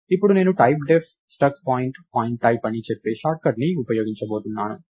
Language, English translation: Telugu, Now, I am going to use a short cut, which says typedef struct point point type